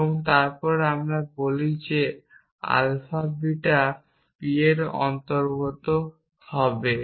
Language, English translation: Bengali, Then we say that if alpha belongs to p then alpha belongs to s p